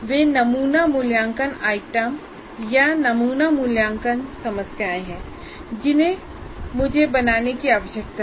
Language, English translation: Hindi, Those are Those sample assessment items are sample problems that I need to create